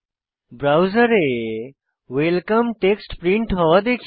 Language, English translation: Bengali, We see the text welcome printed on the browser